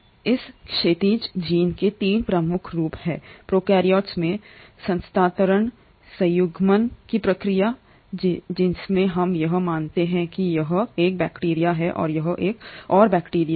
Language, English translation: Hindi, There are 3 major forms of this horizontal gene transfer in prokaryotes; the process of conjugation, wherein let us assume this is one bacteria and this is another bacteria